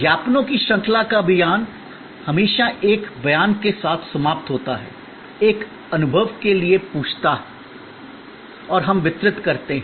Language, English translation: Hindi, The campaign of the series of ads always ends with one statement, ask for an experience and we deliver